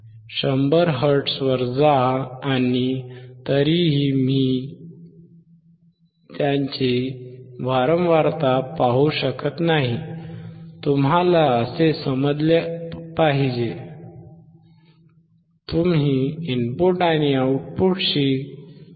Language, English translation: Marathi, Go to 100 and still I cannot see their frequency can be passed, you see you have to understand in this way